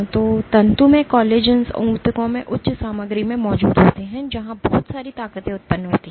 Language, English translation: Hindi, So, the fibrillar collagens are present in high content in those tissues where lots of forces get generated